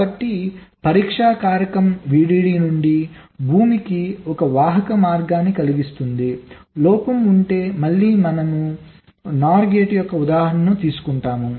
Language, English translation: Telugu, so the test factor will be such that it will cause a conducting path from vdd to ground if the presence of the fault like we take an example of a, nor gate